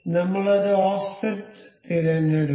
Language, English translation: Malayalam, I will select coincide an offset